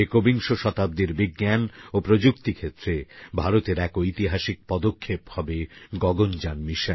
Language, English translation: Bengali, Gaganyaan mission will be a historic achievement in the field of science and technology for India in the 21st century